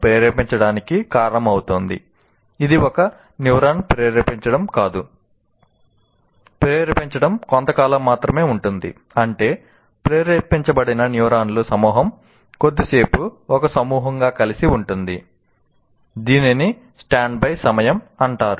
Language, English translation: Telugu, That means, that group of neurons which have fired, they stay together as a group for a brief time, which is called standby time